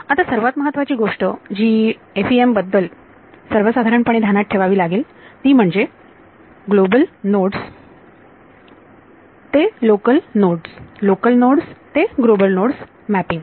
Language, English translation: Marathi, Now, one very important thing to keep in mind in FEM in general is the mapping between global nodes to local nodes local nodes to global nodes ok